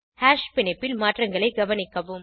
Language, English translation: Tamil, Observe the changes in the Hash bond